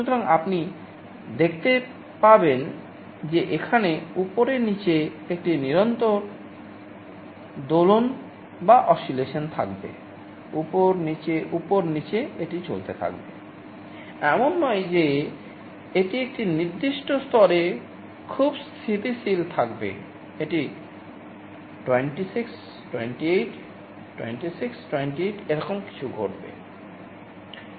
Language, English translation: Bengali, So, you will see there will be a continuous oscillation like this up down, up down, up down this will go on, it is not that it will be very stable at a certain level, it will be going 26, 28, 26, 28 something like this will happen